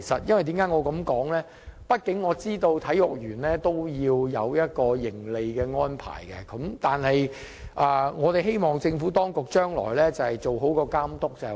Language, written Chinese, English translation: Cantonese, 畢竟我知道體育園也要有盈利，但我希望政府當局將來做好監督工作。, I know the Sports Park needs incomes to operate but I hope that the Government will properly monitor its operation